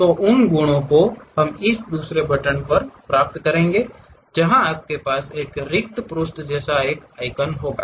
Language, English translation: Hindi, So, those properties we will get it at this second button where you will have an icon like a blank page